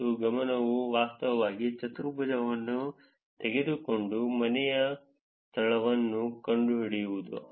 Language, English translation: Kannada, And the focus was actually taking foursquare and finding the home location